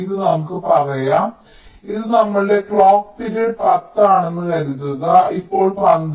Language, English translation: Malayalam, and this lets say this: lets us assume our clock period is ten, now twelve